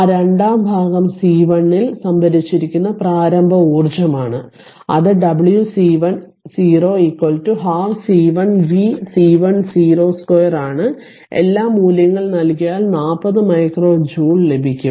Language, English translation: Malayalam, So, that second part is initial energy stored in C 1 it is w c 1 0 is equal to half C 1 v c 1 0 square, you put all the values you will get 40 ah micro joule